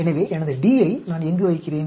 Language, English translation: Tamil, So, I put my d here